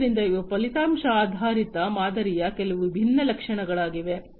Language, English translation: Kannada, So, these are some of the different features of the outcome based model